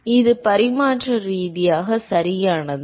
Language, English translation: Tamil, Is it dimensionally correct